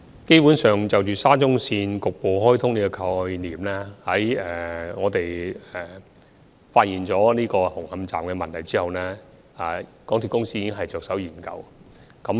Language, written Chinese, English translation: Cantonese, 基本上，就沙中線局部開通的概念，在發現了紅磡站的問題之後，港鐵公司已經着手研究。, Basically concerning the concept of partial commissioning of SCL after the problem at Hung Hom Station has been discovered MTRCL already started studying the proposal